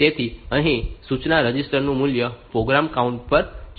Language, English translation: Gujarati, So, here you see from the instruction register, the value should go to the program counter